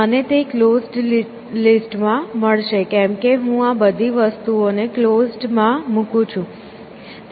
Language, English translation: Gujarati, I will find it in the closed list why, because I am putting all these things into closed